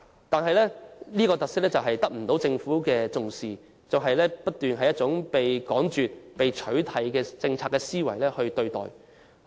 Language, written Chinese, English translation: Cantonese, 但是，這種特色卻得不到政府重視，而以趕絕或取締的政策思維對待。, However this feature is not taken by the Government seriously . Instead hawkers are treated by the Government with a mindset of elimination or abolition